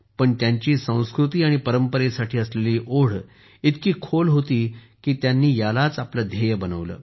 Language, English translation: Marathi, But, his attachment to his culture and tradition was so deep that he made it his mission